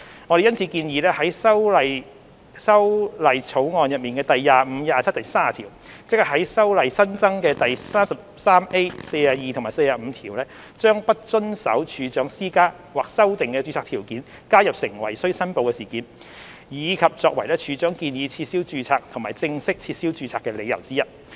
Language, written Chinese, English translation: Cantonese, 我們因此建議在《條例草案》第25、27和30條，即在《條例》新增的第 33A、42和45條，將"不遵守處長施加或修訂的註冊條件"加入成為須申報事件，以及作為處長建議撤銷註冊和正式撤銷註冊的理由之一。, We therefore propose in clauses 25 27 and 30 of the Bill ie . the new sections 33A 42 and 45 of the Ordinance to add non - compliance of a registration condition imposed or amended by the Registrar as a reportable event and as one of the grounds based on which the Registrar may propose to cancel registration and formally cancel registration